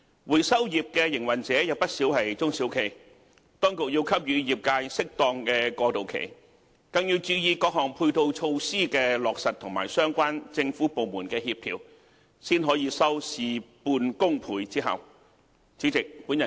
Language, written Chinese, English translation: Cantonese, 回收業營運者有不少是中小企，當局要給予業界適當的過渡期，更要注意各項配套措施的落實和相關政府部門的協調，才可以收事半功倍之效。, Given that quite a number of recyclers are small and medium enterprises the Administration should give the trade an appropriate transitional period and what is more pay attention to the implementation of various ancillary measures and the coordination of related government departments in order to yield twice the result with half the effort